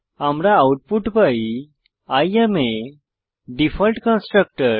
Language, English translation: Bengali, So we get output as I am a default constructor